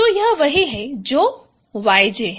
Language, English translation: Hindi, So this is this is what is YJ